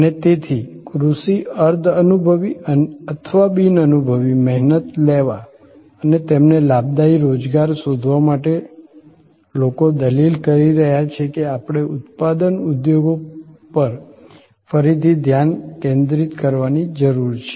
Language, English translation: Gujarati, And therefore, to take agricultural semi skilled or unskilled labour and find them gainful employment, people are arguing that we need refocus on manufacturing industries